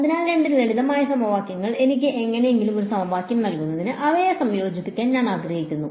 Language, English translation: Malayalam, So, two simple equations, I want to combine them somehow to give me a single equation ok